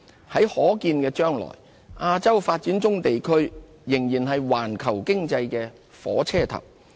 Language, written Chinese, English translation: Cantonese, 在可見的將來，亞洲發展中地區仍然是環球經濟的火車頭。, In the foreseeable future the developing regions in Asia will continue to drive the global economy